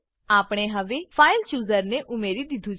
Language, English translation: Gujarati, Add the File Chooser Configure the File Chooser